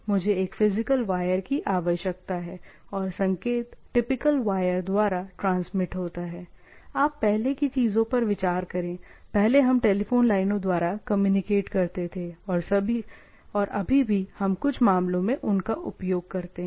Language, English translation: Hindi, I require a physical wire and as the signal transmitted by the typical wire, say, say even if you consider our, previously we used to communicate through telephone lines and type of things or still we do in some cases